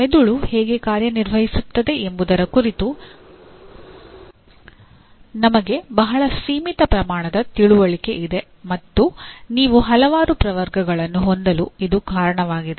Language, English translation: Kannada, We have a very very limited amount of understanding of how the brain functions and that is the reason why you end up having several taxonomies